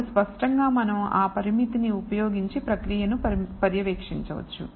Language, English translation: Telugu, And then obviously, we can monitor the process using that that parameter